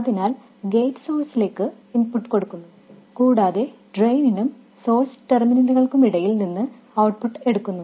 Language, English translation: Malayalam, So, the input is applied to gate source and the output is taken between the drain and source terminals